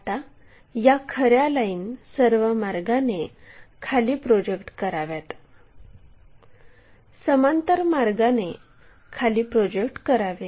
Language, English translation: Marathi, Now, what we have to do is project these true lines all the way down, move parallel all the way down